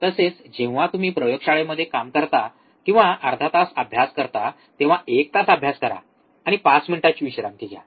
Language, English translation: Marathi, Also, whenever you work in a laboratory or when you study for half an hour study for one hour take 5 minutes break